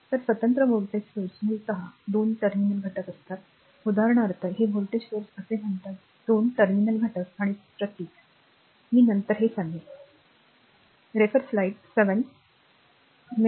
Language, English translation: Marathi, So, an independent voltage source is a basically a two terminal element for example, your this is a voltage source say two terminal element right and symbol I will come to that later right